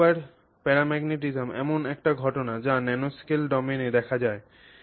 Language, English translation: Bengali, And so this super paramagnetism is a phenomenon that is seen in the nanoscale domain